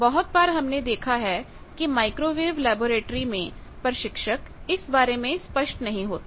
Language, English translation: Hindi, The many times we see that instructors of microwave laboratory they also are not clear about these